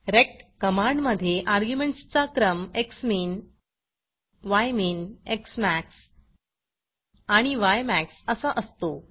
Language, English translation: Marathi, The order of argument in the rect command is xmin, ymin, xmax and ymax